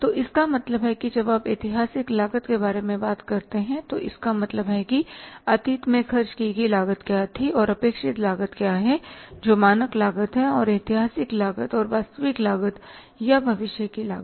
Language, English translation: Hindi, So, it means when you are talking about the historical cost, it means what was the cost incurred in the past, what was the cost incurred in the past and what is the expected cost that is the standard cost